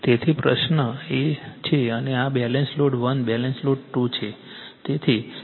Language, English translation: Gujarati, So, question is and this is Balance Load 1, Balance Load 2